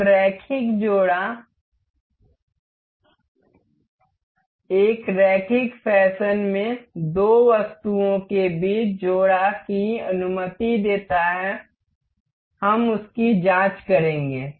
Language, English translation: Hindi, So, linear coupler allows a coupling between two items in an linear fashion; we will check that